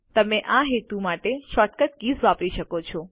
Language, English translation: Gujarati, You can use the short cut keys for this purpose